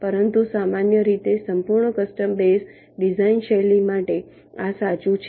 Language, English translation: Gujarati, but in general for full custom base design style, this is true